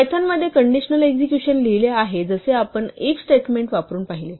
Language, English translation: Marathi, Conditional execution in Python is written as we saw using the 'if statement'